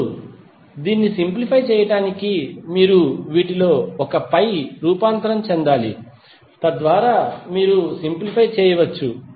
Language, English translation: Telugu, Now, to simplify it, you have to just transform onE1 of these so that you can simplify